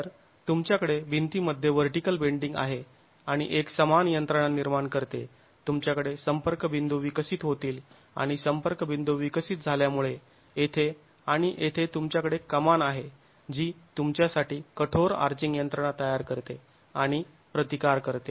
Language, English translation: Marathi, So you have a vertical bending in the wall and a similar mechanism that generates, you will have the contact points developing and because of the contact points developing here, here and here you have the arch that forms and resistance with rigid arching mechanism available for you